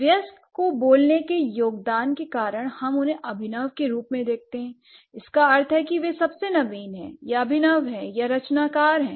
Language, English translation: Hindi, Because of the adult speakers contribution, we do see the adults as the innovative or at the most innovators in that sense or the innovative creators or whatever I can say